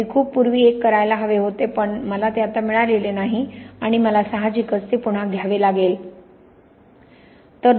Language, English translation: Marathi, I should I did one a long time ago but I have not got it anymore and I obviously needs to take one again